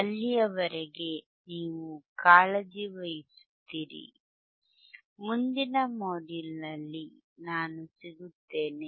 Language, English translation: Kannada, Till then, you take care, I will see in next module bye